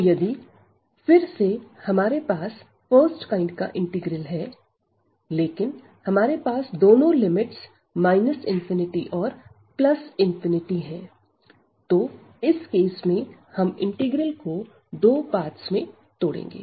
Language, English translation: Hindi, So, if we have this again the first kind integral, but we have the both the limits here minus infinity and this plus infinity so, in this case what we will do we will break this integral into two parts